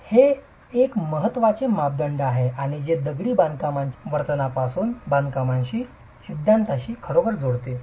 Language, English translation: Marathi, So, this is an important parameter that really links the theory from the behavior of masonry to construction